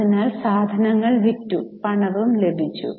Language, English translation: Malayalam, So, we have sold goods and we have got cash